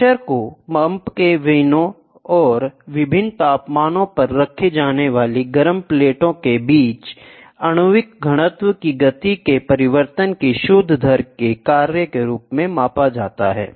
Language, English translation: Hindi, The pressure is measured as a function of net rate of change of momentum of molecular density between the vanes of a pump and the hot plate at which are kept at different temperatures